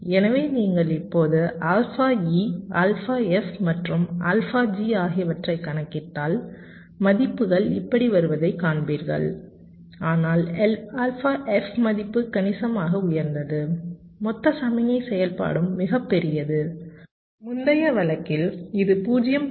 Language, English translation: Tamil, so if you calculate now alpha e, alpha f and alpha g, you will see the values are coming like this, but the value of alpha f is significantly higher, right, and the total signal activity is also much larger